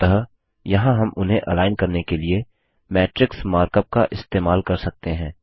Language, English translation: Hindi, So, here we can use the matrix mark up to align them